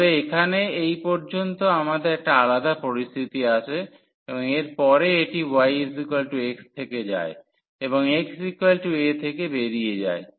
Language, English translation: Bengali, So, up to this point here we have a different situation and after that it goes from y is equal to x and exit from x is equal to a